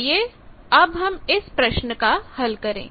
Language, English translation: Hindi, Now let us do this problem